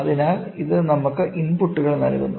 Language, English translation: Malayalam, So, this is given us inputs